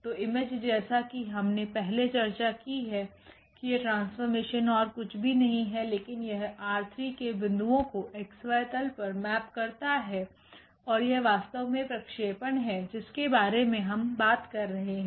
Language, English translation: Hindi, So, the image as we discussed already that this mapping is nothing but it maps the point in this R 3 to the to the x y plane and that that is exactly the projection map we are talking about